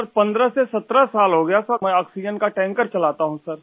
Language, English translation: Hindi, I've been driving an oxygen tanker for 15 17 years Sir